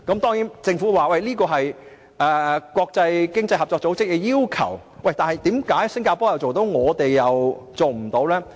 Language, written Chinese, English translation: Cantonese, 當然，政府說這是經濟合作與發展組織的要求，但為何新加坡做得到，我們卻做不到呢？, The Administration says that this is to comply with the OECD requirement but how come Singapore can do so and we cannot?